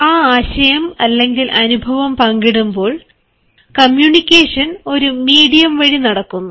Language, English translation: Malayalam, so when you share that idea or experience, you share it with the sort of a medium